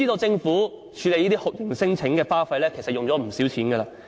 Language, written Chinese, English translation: Cantonese, 政府處理這些酷刑聲請的花費，其實不少。, The Government has actually spent quite a lot of money on dealing with torture claims